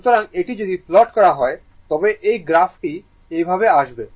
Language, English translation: Bengali, So, if you plot this, if you plot this it graph will come like this